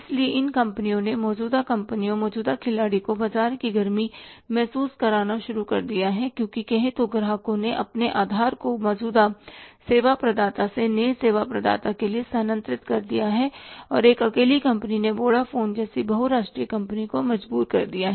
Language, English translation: Hindi, So, these companies, existing companies, existing players have started feeling the heat of the market because customers have started shifting their base from the existing service provider to the new service provider and one single company has forced the multinational company like Bodeophone